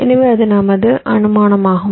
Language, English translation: Tamil, so that was our assumption